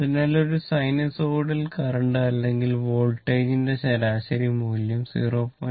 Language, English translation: Malayalam, Average value of the sinusoidal current or voltage both are multiplied by 0